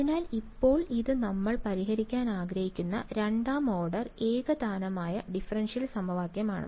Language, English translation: Malayalam, So, now, let us now this is the second order homogenous differential equation that we want to solve ok